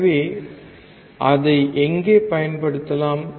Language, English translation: Tamil, So, where can it be used